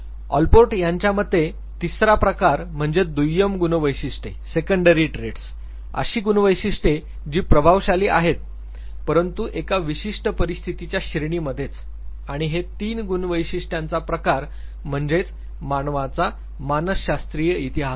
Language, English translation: Marathi, And the third category of traits according to Allport was the secondary traits traits that are influential, but only within a narrow range of situation and all these three traits basically constitutes the psychological history of as human being